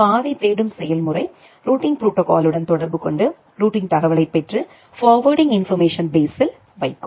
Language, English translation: Tamil, The route lookup procedure will interact with the routing protocol, get the routing information and put it in the FIB